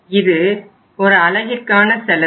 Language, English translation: Tamil, This is the unit cost